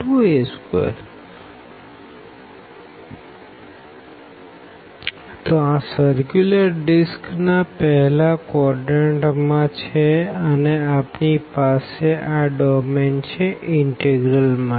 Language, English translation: Gujarati, So, that is the circular disk in the first quadrant and where we have this domain for the integral